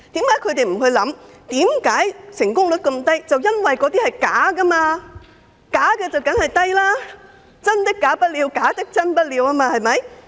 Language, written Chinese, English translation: Cantonese, 為何他們不想一想，成功率極低的原因是由於申請個案全屬虛假，正是"真的假不了，假的真不了"，對嗎？, Why do they not consider that the rather low success rate is due to the fact that most of these claims are fraudulent cases since what is true cannot be false while what is false cannot be true right?